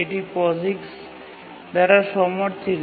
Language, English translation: Bengali, So it's supported by POIX